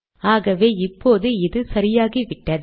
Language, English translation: Tamil, So now this is okay